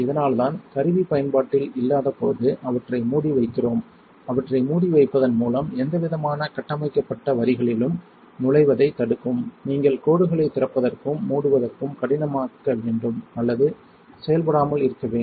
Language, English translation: Tamil, This is also why we keep them closed by keeping them closed when the tool is not in use, will prevent any kind of built up from getting into the lines you should make the lines even harder to open and close or not functional at all